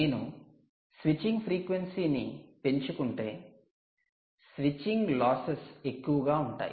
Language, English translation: Telugu, but if you increase the switching frequency, the, the switching losses are going to be high